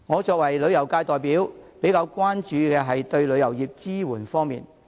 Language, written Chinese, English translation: Cantonese, 作為旅遊界代表，我比較關注政府對旅遊業提供的支援。, As a representative of the tourism industry I am more concerned about the support given by the Government to the industry